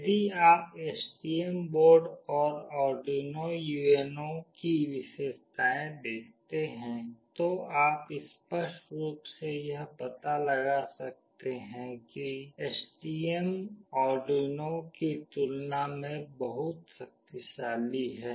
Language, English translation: Hindi, If you see the features of STM board and Arduino UNO, you can clearly make out that STM is much powerful as compared to Arduino